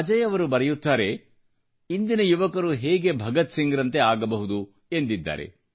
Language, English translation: Kannada, Ajay ji writes How can today's youth strive to be like Bhagat Singh